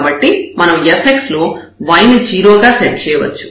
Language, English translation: Telugu, So, we can set in our fx as y 0